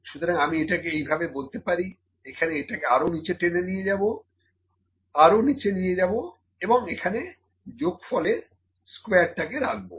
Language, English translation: Bengali, So, let me put it here I will drag it further down, I will drag it down and I will put here sum squared, ok